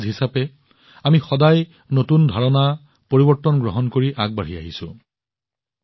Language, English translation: Assamese, As a society, we have always moved ahead by accepting new ideas, new changes